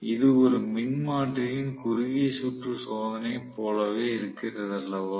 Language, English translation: Tamil, So, it is equivalent to short circuit condition of the transformer as well